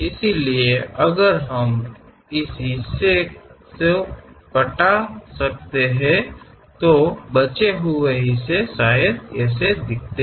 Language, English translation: Hindi, So, if we can remove this part, the left over part perhaps looks like that